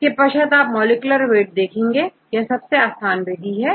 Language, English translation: Hindi, Then the next one you can calculate the molecular weight, the simplest one